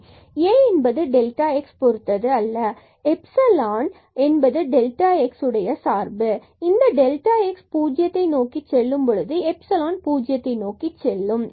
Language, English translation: Tamil, So, we get A into this delta x and plus epsilon into delta x and epsilon has this property that it goes to 0 as delta x goes to 0